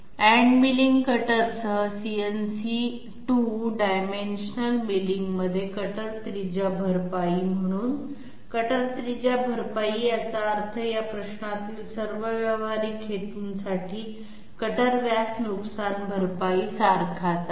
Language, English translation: Marathi, Cutter radius compensation in CNC 2 dimensional milling with end milling cutter, so cutter radius compensation is it means the same thing as cutter diameter compensation for all practical purposes in this question